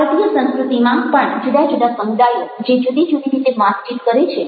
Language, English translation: Gujarati, even within the indian culture, there are different communities which converse in different ways